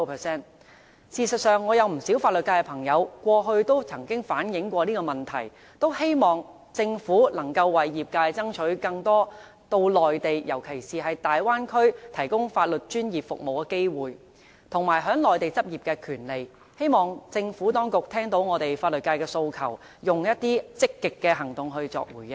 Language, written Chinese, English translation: Cantonese, 事實上，我有不少法律界朋友過去都曾反映這個問題，他們很希望政府能夠為業界爭取更多到內地，尤其是到大灣區提供法律專業服務的機會，以及在內地執業的權利，希望政府當局聽到我們法律界的訴求，並以積極行動作回應。, In fact many of legal practitioners in know have reflected this problem to me . They hope that the Government can strive for more opportunities for them to provide professional legal services and to practise in the Mainland especially in the Bay Area . I hope the Government will listen to the aspirations of the legal sector and proactively respond to us